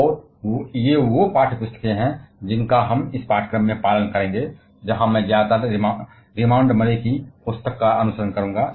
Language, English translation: Hindi, And these are the text books that we shall be following in this course; where I shall mostly be following the book of Remand Murray